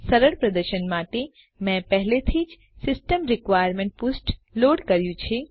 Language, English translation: Gujarati, For ease of demonstration, I have already loaded the System Requirements page